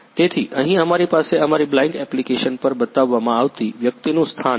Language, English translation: Gujarati, So, here we have the location of the person showing on our Blynk app